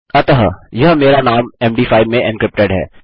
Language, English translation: Hindi, So that is my name encrypted in Md5